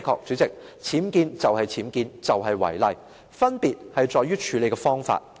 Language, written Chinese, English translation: Cantonese, 主席，僭建就是僭建，就是違例，分別在於處理的方法。, President UBWs are UBWs and they are illegal; the approaches to tackling them tell the difference